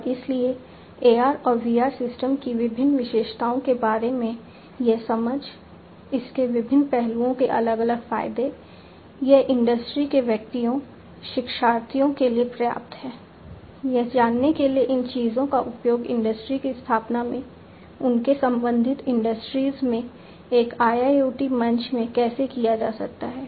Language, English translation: Hindi, And so, this understanding about the different features of AR and VR systems, the different advantages the different aspects of it, this is sufficient for the industry persons the, you know the learners to know about how these things can be used in an industry setting to create an IIoT platform in their respective industries